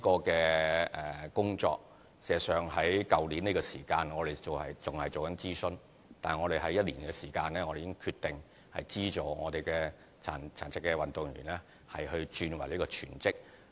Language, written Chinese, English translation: Cantonese, 這項工作事實上在去年的同期仍在進行諮詢，但我們在1年的時間內已決定資助殘疾運動員轉為全職。, In fact this item of work was still under consultation during the same period last year . But within one year we have already decided to provide subsidy for disabled athletes to become full - time athletes